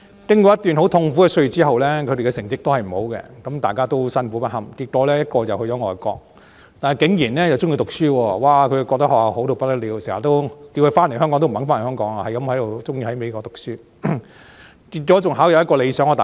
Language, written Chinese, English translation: Cantonese, 經過一段很痛苦的歲月之後，他們的成績依然未如理想，而大家都辛苦不堪，結果一個去了外國後竟然喜歡讀書，覺得學校好到不得了，要他回香港也不願意，喜歡留在美國讀書，最終考上理想的大學。, After a painful period of time their academic results were still not as desirable and we all felt drained . In the end one of my sons went abroad and surprisingly became fond of studying . He believed that his school was so good that he refused my request when I asked him to come back to Hong Kong